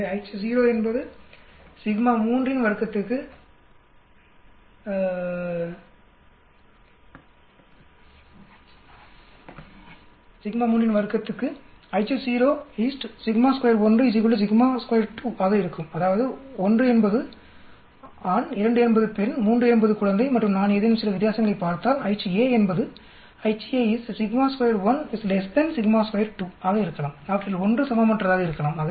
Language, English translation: Tamil, So the h naught will be sigma 1 square is equal to sigma 2 square is equal to sigma 3 square that means 1 means male, 2 means female, 3 could be infant and h a could be if I am looking at some difference it could be sigma 1 square not equal to sigma 2 square one of them is not equal to